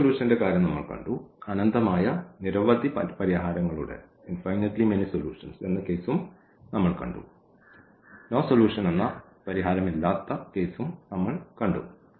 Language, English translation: Malayalam, So, we have seen the case of the unique solution, we have seen the case of the infinitely many solutions and we have seen the case of no solution